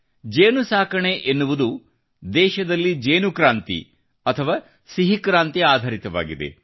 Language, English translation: Kannada, Bee farming is becoming the foundation of a honey revolution or sweet revolution in the country